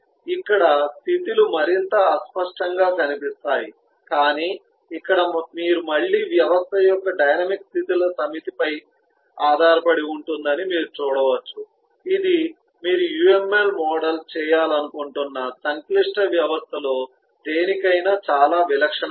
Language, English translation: Telugu, but here you can see that the dynamics of the system again depend on a set of states, which is very typical for any of the complex systems that you would like to model